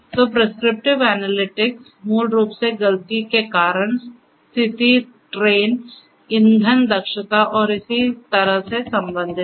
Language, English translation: Hindi, So, prescriptive analytics basically deals with fault causes, condition trains, fuel efficiency and so on